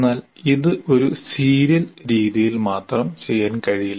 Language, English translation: Malayalam, But this itself cannot be done in just in a serial fashion